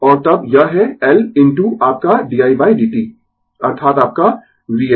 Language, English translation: Hindi, And then, it is L into your di by dt that is your v L